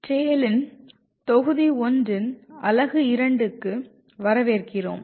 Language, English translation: Tamil, Welcome to the unit 2 of module 1 of TALE